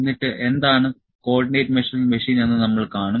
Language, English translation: Malayalam, And, we will see, what is Co ordinate Measuring Machine